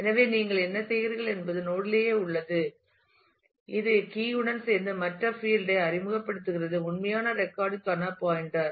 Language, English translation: Tamil, So, what you do is in the node itself you introduce another field after along with the key which is the; pointer to the actual record